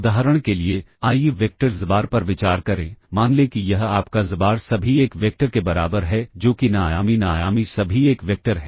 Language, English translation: Hindi, For instance, let’s consider the vector xbar, let’s consider this to be your xbar equals the all 1 vector that is n dimensional n dimensional all 1 vector